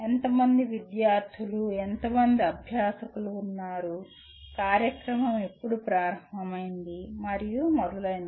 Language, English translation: Telugu, How many students, how many faculty are there, when did the program start and so on and on